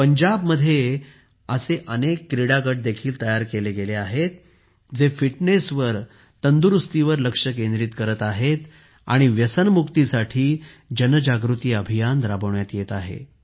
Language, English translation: Marathi, Many sports groups have also been formed in Punjab, which are running awareness campaigns to focus on fitness and get rid of drug addiction